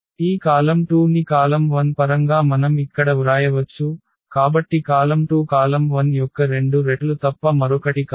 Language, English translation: Telugu, We can write down this column 2 here in terms of column 1, so column 2 is nothing but the two times the column 1